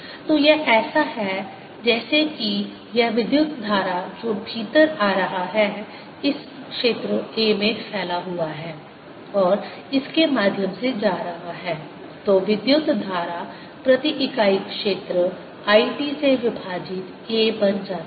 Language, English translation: Hindi, so it is as if this current which is coming in has spread over this area, a, and then it's going through, so the current per unit area becomes i t over a